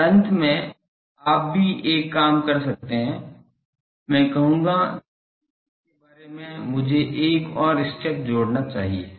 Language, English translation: Hindi, And finally, also you can do one thing I will say that after this I should add another step